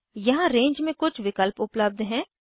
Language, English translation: Hindi, There are some options available under Range